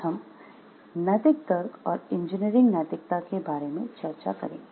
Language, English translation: Hindi, Today we will discuss about the introduction to ethical reasoning and engineering ethics